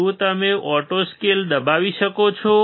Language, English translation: Gujarati, Can you press the auto scale